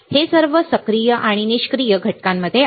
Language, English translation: Marathi, It is present in all active and passive components